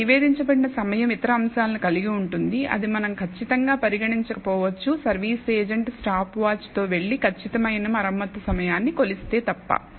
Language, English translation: Telugu, So, the time that has been reported contains other factors that we may not have precisely considered, unless the the service agent goes with that stopwatch and measures exactly the time for repair